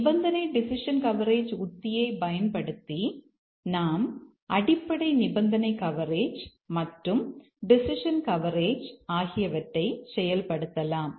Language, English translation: Tamil, The condition decision coverage strategy, here we achieve basic condition coverage and also the decision coverage